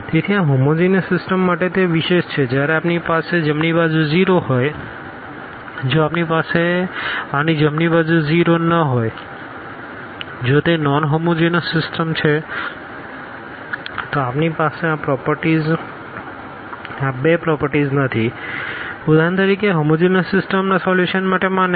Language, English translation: Gujarati, So, that is special for this homogeneous system when we have the right hand side 0, if we do not have this right hand side 0; if it is a non homogeneous system we do not have this property these two properties for example, valid for the solution of non homogeneous system of equations